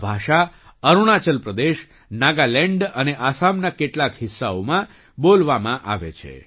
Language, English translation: Gujarati, This language is spoken in Arunachal Pradesh, Nagaland and some parts of Assam